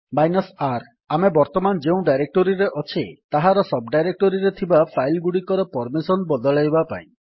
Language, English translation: Odia, R: To change the permission on files that are in the sub directories of the directory that you are currently in